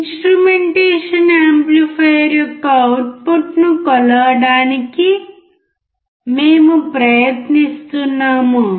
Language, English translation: Telugu, We are trying to measure the output of the instrumentation amplifier